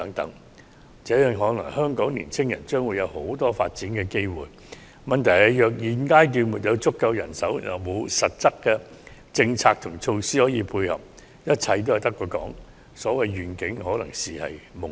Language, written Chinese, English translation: Cantonese, 如此看來，香港的年青人將有很多發展機會，問題是現階段若無足夠人手，又沒有實質政策和措施可作配合，一切均只是空談，所謂願景可能只屬夢境。, At first glance many development opportunities seem to be available for the young people of Hong Kong but all of these will be nothing more than empty talks if the current lack of manpower as well as concrete policies and measures persist . These so - called visions may be nothing more than a dream